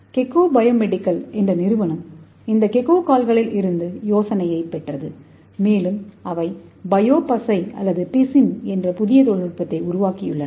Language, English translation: Tamil, So the company Gecko biomedical so they got the idea from this Gecko feet and so they have developed a new technology called bio glue or adhesive